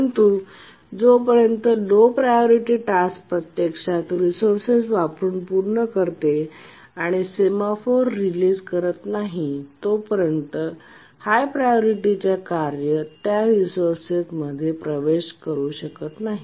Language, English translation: Marathi, But until the low priority task actually completes using the resource and religious the semaphore, the high priority task cannot access the resource